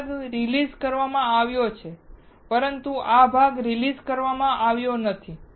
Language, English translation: Gujarati, This part is released but this part is not released